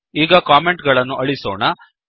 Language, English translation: Kannada, Now, let me remove the comments